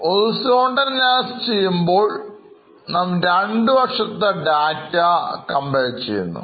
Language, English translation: Malayalam, So, in horizontal analysis what we do is we compare the two years